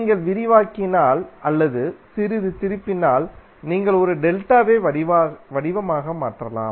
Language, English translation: Tamil, If you expand or if you twist a little bit, you can convert a delta into a pi format